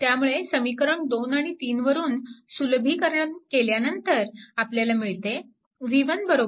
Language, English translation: Marathi, So, from equation 2 and 3, we will get upon simplification all these things we get v 1 is equal to 1